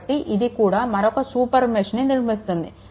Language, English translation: Telugu, So, this is also creating another super mesh